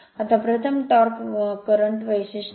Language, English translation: Marathi, Now, first is a torque current characteristic